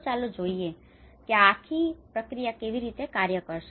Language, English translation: Gujarati, So let us see how this whole process is going to work